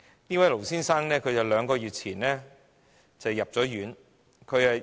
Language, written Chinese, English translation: Cantonese, 這位盧先生於兩個月前入院。, This Mr LO was admitted to hospital two months ago